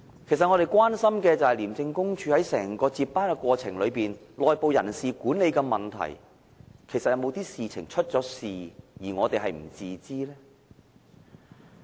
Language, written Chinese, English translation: Cantonese, 其實，我們所關心的，是廉署在整個部署接班過程中，在內部人事管理上，是否出現某種問題，而我們是不知道的呢？, In fact what we concern about is that whether a certain issue concerning internal personnel management that we know nothing about has emerged in the course of devising a succession plan within ICAC?